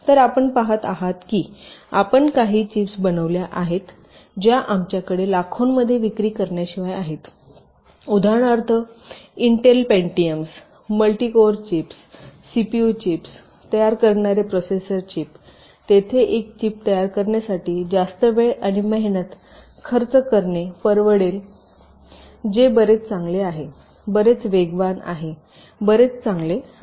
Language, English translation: Marathi, so you see, ah, when you design some chips which we except to cell in millions, for example the processor chips which intel manufactures, the pentiums, the multicore chips, cpu chips they are, they can effort to spend lot more time and effort in order to create a chip which is much better, much faster, much optimize